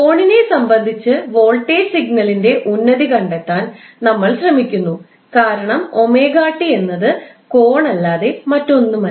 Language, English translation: Malayalam, Now what we are doing in this figure we are trying to find out the amplitude of voltage signal with respect to angle because this is omega T that is nothing but angle